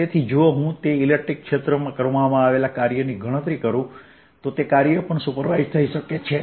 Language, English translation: Gujarati, so if i calculate the work done in that electric field, that work done can also superimposed